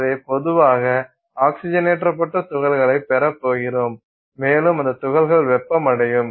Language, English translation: Tamil, So, you are typically going to have oxidized particles and those particles are going to center